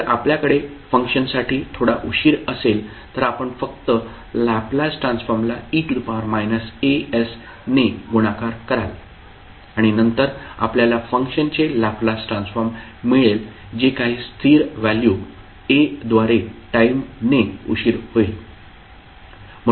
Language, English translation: Marathi, So in this if you have a time delay in function, you will simply multiply the Laplace transform by e to the power minus a s and then you will get the Laplace transform of a function which is delayed by delayed in time by some constant value a